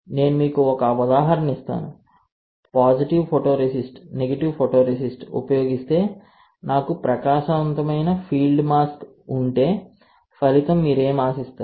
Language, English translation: Telugu, If I give you an example that if I use a positive photoresist, negative photoresist and if I have a bright field mask, right what do you expect as the outcome